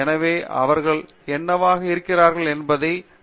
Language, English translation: Tamil, So, you have to respect them for what they are